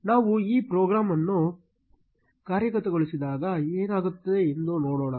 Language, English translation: Kannada, Let us see what happens when we execute this program